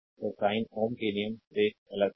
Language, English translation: Hindi, So, sign is plus from the ohm's law